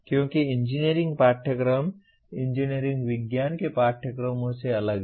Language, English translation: Hindi, Because engineering courses are different from engineering science courses